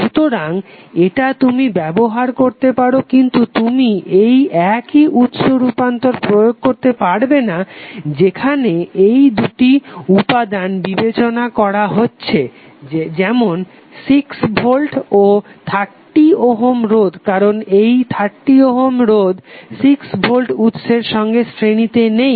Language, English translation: Bengali, So this you can utilize but, you cannot apply the same source transformation while considering these two elements like 6 volts and 30 ohm because this 30 ohm is not in series with 60 volt source